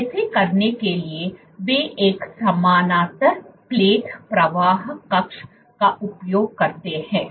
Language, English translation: Hindi, So, for doing this for doing this they use a parallel plate flow chamber